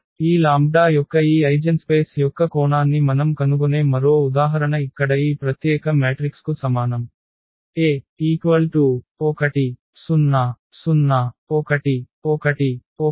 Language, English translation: Telugu, Another example we will find the dimension of this eigenspace of this lambda is equal to this very special matrix here 1 0 0 1 1 1 and 0 0 1